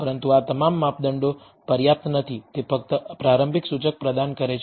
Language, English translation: Gujarati, But all of these measures are not sufficient they only provide a initial indicator